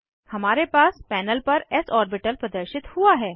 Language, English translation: Hindi, We have s orbital displayed on the panel